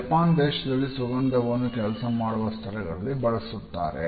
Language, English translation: Kannada, In Japan particularly fragrance is used in the workplace also